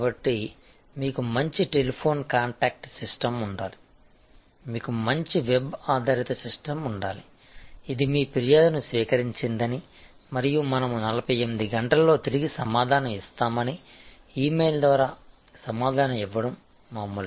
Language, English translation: Telugu, So, you should have good telephone contact system, you should have good web based system, It’s not just routine replied by email saying we have received your complaint and we will respond back in 48 hours